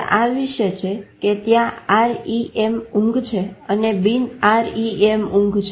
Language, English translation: Gujarati, sleep and there is a non R E M sleep